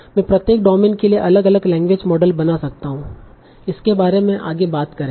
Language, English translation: Hindi, I can build different language models for each domain